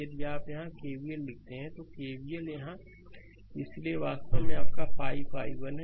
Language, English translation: Hindi, If you write KVL here, KVL here, so it is actually your 5 i 1 right